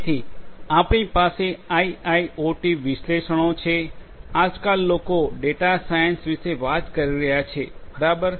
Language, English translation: Gujarati, So, so, we have IIoT analytics; the concept nowadays you know people are talking about data science, right